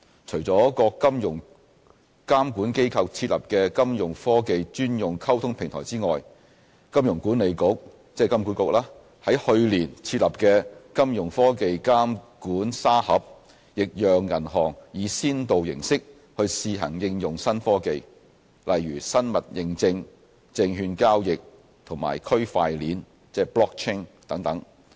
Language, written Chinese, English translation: Cantonese, 除了各金融監管機構設立的金融科技專用溝通平台外，金融管理局在去年設立的"金融科技監管沙盒"亦讓銀行以先導形式去試行應用新科技，例如生物認證、證券交易和區塊鏈等。, Apart from the dedicated Fintech liaison platforms set up by the regulators the Hong Kong Monetary Authority HKMA established its Fintech Supervisory Sandbox last year allowing banks to conduct live pilot testing of Fintech initiatives such as biometric authentication securities trading and Blockchain technology